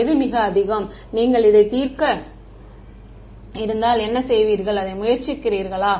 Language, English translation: Tamil, What is the most, what would you do if you are trying to solve it